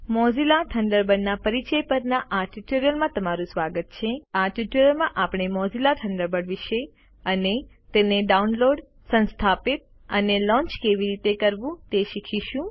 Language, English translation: Gujarati, Welcome to the Tutorial on Introduction to Mozilla Thunderbird In this tutorial we will learn about Mozilla Thunderbird and How to download, install and launch Thunderbird